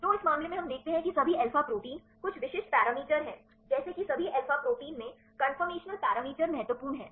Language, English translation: Hindi, So, in this case we see that all alpha proteins there are some specific parameters like the conformational parameters are important in all alpha proteins